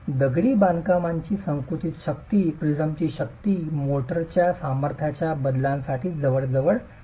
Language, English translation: Marathi, The motor joint is the masonry compresses strength, the prism strength is almost insensitive to the variation of the motor strength